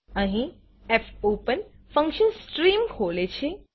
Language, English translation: Gujarati, Here, the fopen function opens a stream